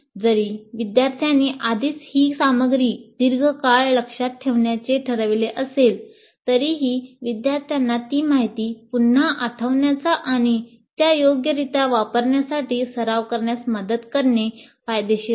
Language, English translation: Marathi, So even if the learners have already committed this material to long term memory, it is worthwhile to help students practice recalling that information and using it appropriately